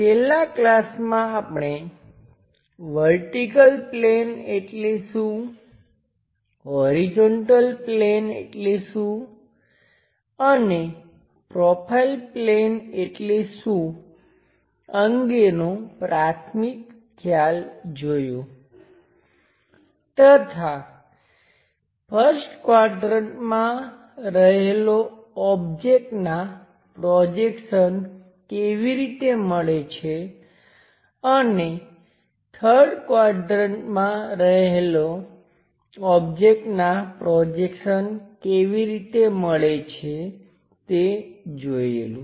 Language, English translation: Gujarati, In the last classes, we try to have feeling for what is a vertical plane, what is horizontal plane and what is profile plane and how an object in first quadrant gives the projections and how an object in third quadrant gives the projections we have seen